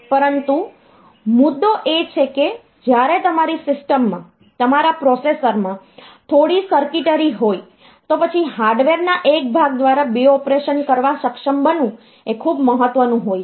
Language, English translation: Gujarati, But the point is, when you are having some circuitry in your system, in your processor, then being able to do 2 operations done by a single piece of hardware is of much importance